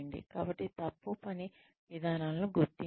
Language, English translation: Telugu, So, identify faulty work patterns